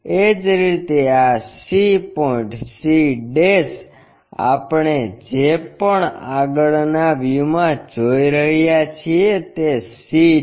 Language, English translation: Gujarati, Similarly, this c point c' whatever we are looking in the front view projected all the way to c